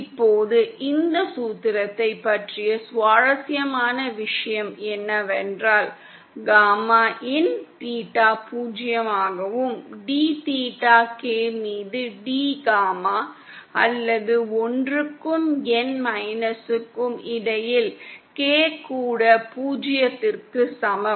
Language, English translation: Tamil, Now the interesting thing about this formula is that gamma in at theta is equal to 5 upon 2 is zero and D gamma in upon D theta K, or K between one and N minus one, is also equal to zero